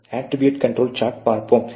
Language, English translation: Tamil, Let us look at the attribute control chart